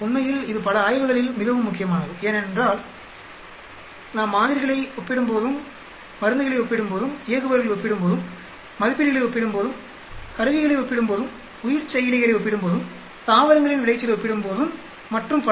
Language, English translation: Tamil, In fact, it is very key in many studies where we are comparing samples, comparing drugs, comparing operators, comparing assays, comparing instruments, comparing bio processors, comparing yield of plants and so on